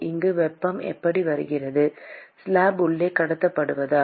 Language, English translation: Tamil, How does heat come here because of conduction inside the slab